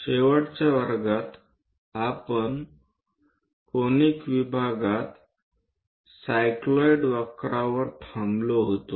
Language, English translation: Marathi, In that conic sections, in the last class, we have stopped at the cycloid curve